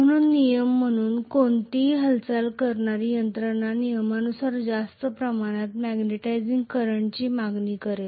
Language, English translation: Marathi, So as a rule any moving mechanism is going to demand more amount of magnetizing current as a rule, right